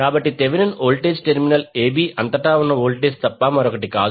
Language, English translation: Telugu, So Thevenin voltage is nothing but the voltage across the terminal a b